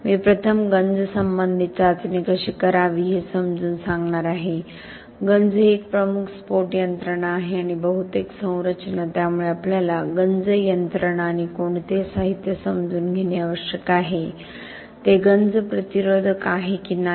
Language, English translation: Marathi, I am going to explain corrosion related testing how to do first, corrosion is a major detonations mechanism and most of the structures so we need to understand the corrosion mechanism and the materials which are used whether it is corrosion resistant or not